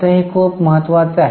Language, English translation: Marathi, Now this is a very important note